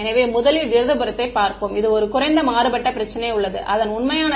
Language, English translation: Tamil, So, let us first look at the left hand side this is a low contrast problem whether true solution is x 1 x 2 is equal to 0